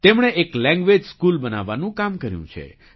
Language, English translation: Gujarati, He has undertaken the task of setting up a language school